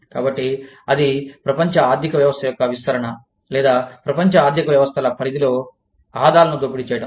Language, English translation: Telugu, So, that is expansion of the global economy, or, exploitation of the global economy of scope